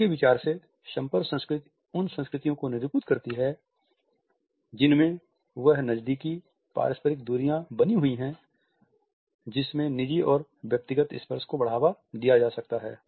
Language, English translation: Hindi, His idea of contact culture is to denote those cultures in which close interpersonal distances are maintained and at the same time those distances in which personal and individual touch can be promoted